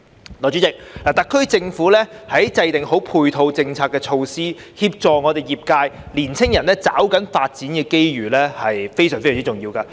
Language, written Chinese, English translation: Cantonese, 代理主席，特區政府妥善制訂配套政策措施，協助我們業界及年青人抓緊發展機遇是非常重要的。, Deputy President it is important for the SAR Government to formulate appropriate supporting policies and measures to help the industries and young people to seize the opportunity for development